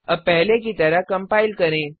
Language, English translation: Hindi, Now compile as before